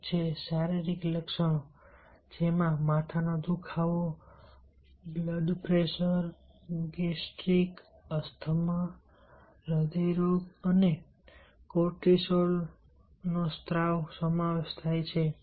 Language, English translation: Gujarati, one is the physiological symptoms, which include headache, blood pressure, gastric asthma, heart disease and cortisal secretion